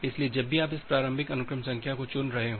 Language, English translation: Hindi, So, whenever you are choosing this initial sequence number